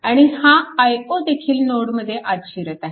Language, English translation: Marathi, So, this current i 0 is also entering into the node right